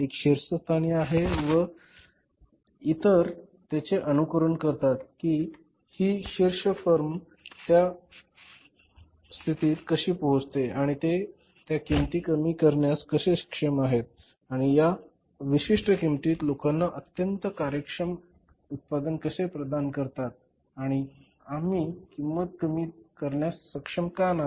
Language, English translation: Marathi, One is at the top then others are followers, so how the top firm is able to reach up to that position that how they are able to reduce the cost and to provide a very efficient product to the people at that particular price and we are not able to reduce the cost of the product